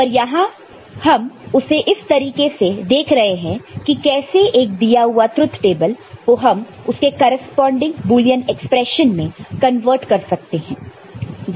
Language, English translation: Hindi, But here we are looking at given a truth table, how we are converting it to corresponding Boolean expression